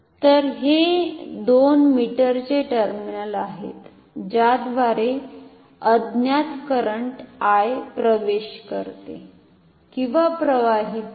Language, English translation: Marathi, So, these two are the terminals of the meter through which the unknown current I should entered and leave